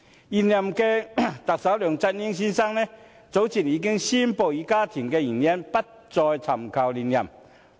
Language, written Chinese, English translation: Cantonese, 現任特首梁振英先生，早前以家庭原因，宣布不再尋求連任。, The incumbent Chief Executive LEUNG Chun - ying announced earlier that he would not run for another term due to family reasons